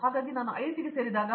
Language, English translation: Kannada, So, when I joined the IIT